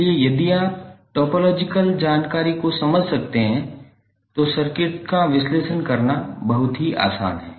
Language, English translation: Hindi, So if you can understand the topological information, it is very easy for you to analyze the circuit